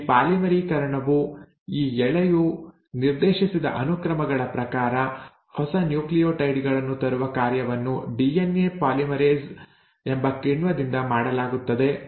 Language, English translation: Kannada, Now this polymerisation, this bringing in of new nucleotides as per the sequences just dictated by this strand is done by an enzyme called as DNA polymerase